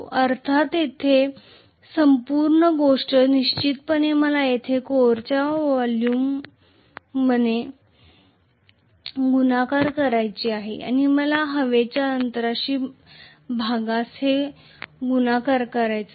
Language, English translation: Marathi, The whole thing multiplied by of course here I have to multiply this by volume of the core and I have to multiply this by the volume of the air gap